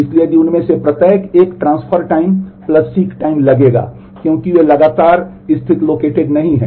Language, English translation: Hindi, So, if each one of that will take a transfer time plus a seek time because they are not consecutively located